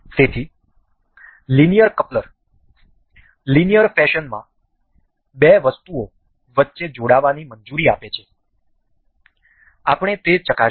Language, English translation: Gujarati, So, linear coupler allows a coupling between two items in an linear fashion; we will check that